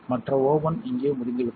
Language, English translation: Tamil, The other oven is over here